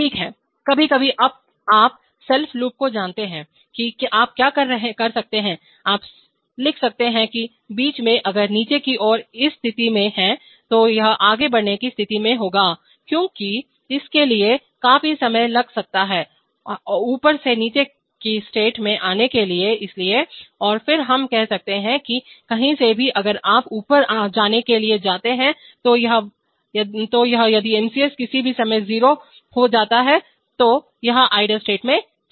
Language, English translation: Hindi, Right, in between sometimes, you know self loops that is you can, you can write that in between if moving down is in this position, it will, it will be in the moving down state because it might take quite some time to for it to come down from up to down state, so, and then we can say that from anywhere if you go to moving up then it goes to I, if MCS becomes 0 at any point of time then it is, it goes to the idle state